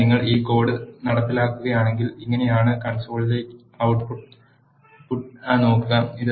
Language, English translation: Malayalam, So, if you execute this piece of code, this is how the output in the console looks